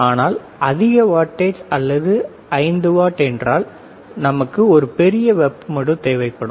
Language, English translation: Tamil, But if it is a higher wattage or it is 5 watt, then we have a bigger heat sink